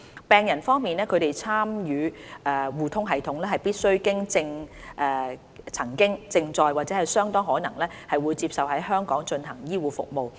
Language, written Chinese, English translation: Cantonese, 病人方面，他們參與互通系統，必須曾經、正在或相當可能會接受在香港進行的醫護服務。, As regards patients who join eHRSS they should have received be receiving or be likely to receive health care performed in Hong Kong